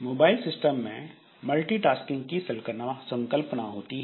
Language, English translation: Hindi, Now, in mobile systems, so there are concept of multitasking